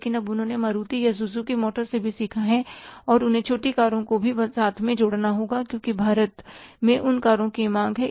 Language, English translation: Hindi, But now they have learned also from the Maruti or maybe the Suzuki motors that they also have to add up the small cars because there is a demand for those cars in India